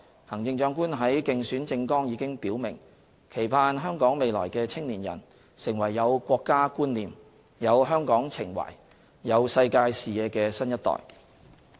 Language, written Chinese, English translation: Cantonese, 行政長官在競選政綱已表示，期盼香港未來的青年人，成為有國家觀念、有香港情懷、有世界視野的新一代。, The Chief Executive has stated in her election manifesto that she hopes that future young people in Hong Kong can become a new generation equipped with a sense of national identity love for Hong Kong and international perspectives